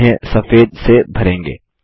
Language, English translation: Hindi, We shall fill them with white